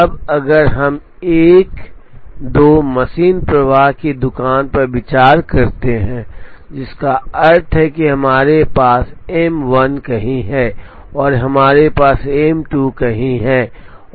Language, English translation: Hindi, Now, if we consider a two machine flow shop, which means we have M 1 here, and we have M 2 here